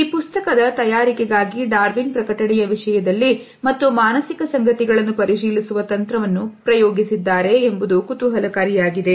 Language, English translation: Kannada, It is interesting to note that for the preparation of this book Darwin had experimented technique in terms of publication and verifying the psychological facts